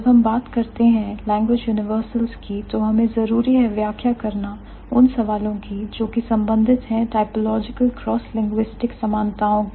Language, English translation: Hindi, So, when we think about language universals, we must account for the questions which are related to typological cross linguistic similarities